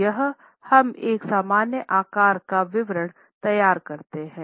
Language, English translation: Hindi, So, here we prepare a common size statement